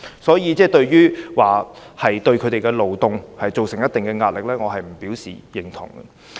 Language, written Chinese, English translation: Cantonese, 所以，說他們會對社會造成一定壓力，我不能表示認同。, I therefore cannot agree with the allegation that they will impose a certain degree of pressure on our community